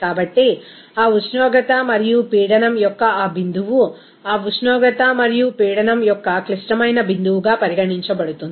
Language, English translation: Telugu, So, that point of that temperature and pressure will be regarded as critical point of that temperature and pressure